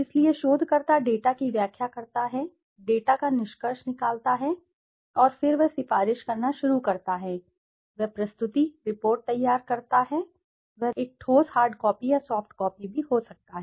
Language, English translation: Hindi, So the researcher interprets the data, concludes the data and then he starts recommending, he makes the presentation, report preparation, he makes the report preparation, a tangible hard copy or could be soft copy also